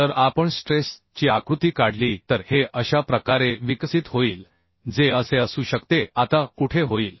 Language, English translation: Marathi, If we draw the stress diagram, this will develop in this way, may be this way